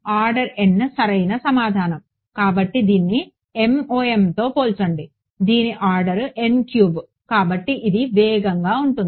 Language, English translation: Telugu, Order n right; so, compare this with MoM which is order n cube that is why this is fast